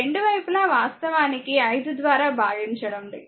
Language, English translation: Telugu, Both side actually divided by 5